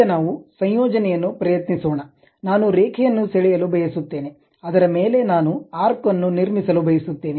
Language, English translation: Kannada, Now, let us try a combination like a line I would like to draw, on that I would like to construct an arc